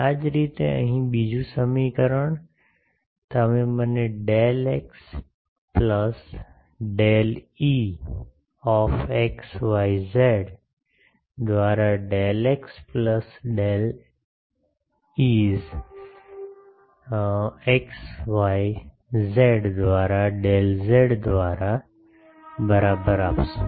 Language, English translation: Gujarati, Similarly here the second equation you will give me del E x x y z del x plus del E y x y z del y plus del E z x y z del z is equal to 0